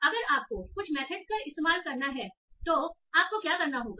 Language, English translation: Hindi, So what will you have to do if you have to use some methods like that